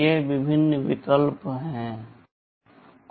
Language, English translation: Hindi, These are the various options